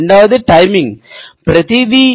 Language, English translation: Telugu, The second is that timing is everything